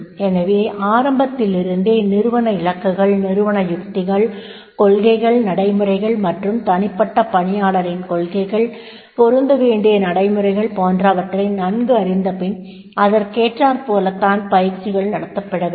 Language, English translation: Tamil, As right from the beginning I am saying that is the organizational goals, organizational strategies, policies, procedures and individual employees policies procedures that is to be matched